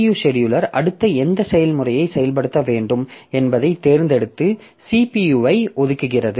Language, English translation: Tamil, It will select which process should be executed next and allocates the CPU